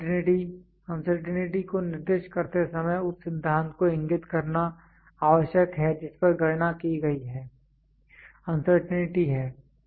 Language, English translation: Hindi, Uncertainty, when specifying the uncertainty it is necessary to indicate the principle on which the calculation has been made is uncertainty